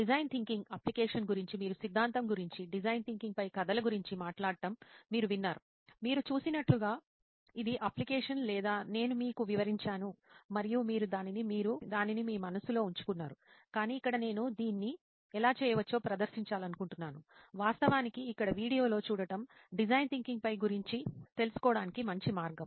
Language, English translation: Telugu, Design thinking is about application; you have heard me talk about theory, about stories on design thinking, it’s application as you have seen it or I have described to you and you visualized it in your head; but here I would like to demonstrate how it can be done, what better way to actually get the flavour of design thinking like seeing it in video here